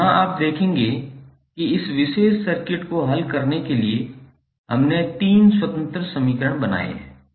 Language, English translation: Hindi, So here you will see that there are 3 independent equations we have created to solve this particular circuit